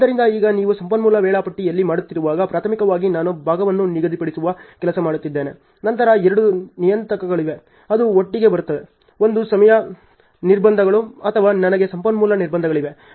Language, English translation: Kannada, So, now when you are doing on resource schedules primarily I am working on scheduling part then there are two parameters which comes together; one is time constraints or do I have resource constraints ok